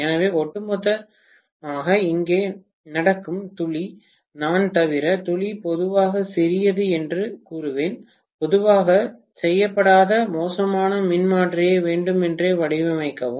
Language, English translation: Tamil, So, overall the drop that is taking place here, I would say the drop is generally small, unless I deliberately design a bad transformer which is generally not done